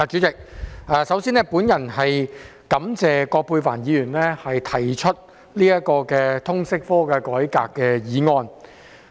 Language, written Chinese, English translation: Cantonese, 代理主席，首先，我感謝葛珮帆議員提出"徹底改革通識教育科"的議案。, Deputy President first of all I would like to thank Ms Elizabeth QUAT for proposing the motion on Thoroughly reforming the subject of Liberal Studies